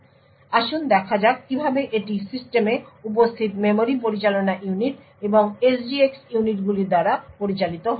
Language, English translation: Bengali, So, let us see how this is managed by the memory management units and the SGX units present in the system